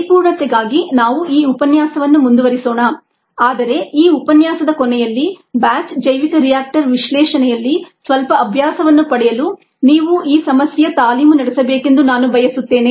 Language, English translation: Kannada, ah will continue and do a little bit more in this lecture it'self for completeness, ah, but i would like you to work this out at the end of this lecture to get some practice in the batch bioreactor analysis